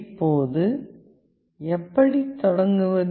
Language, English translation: Tamil, Now, how to start